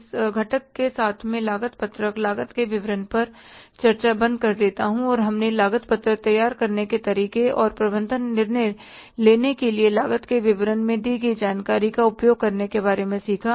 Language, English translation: Hindi, With this component, I stopped the discussion on the cost sheet, statement of the cost and we learned about how to prepare the cost sheet and how to use the information given in this statement of the cost for the management decision making